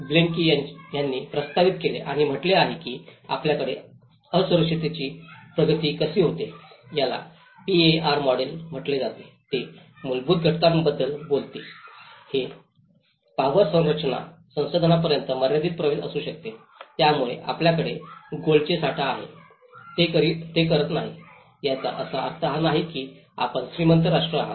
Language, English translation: Marathi, Proposed by Blaikie and it says how the vulnerability progresses we have the root causes it is called the PAR model, it talks about the underlying factors, it could be the limited access to power structures, resources, so you have the gold reserves, it doesn’t mean you are rich nation